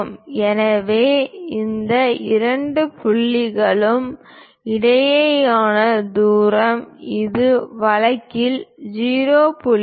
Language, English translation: Tamil, So, the distance between these two points is 0